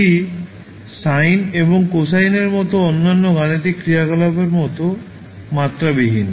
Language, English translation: Bengali, It is dimensionless like any other mathematical function such as sine and cosine